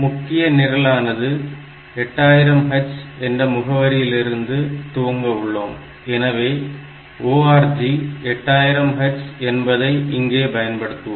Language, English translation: Tamil, Then maybe my main program is from location 8000 H; so, I put another ORG here